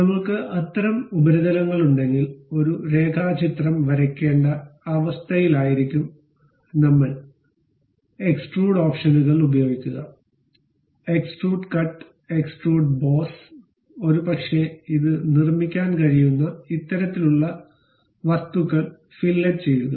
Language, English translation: Malayalam, If we have that kind of surfaces, we will be in a position to draw a sketch; then use extrude options, extrude cut, extrude boss, perhaps fillet this kind of objects we can really construct it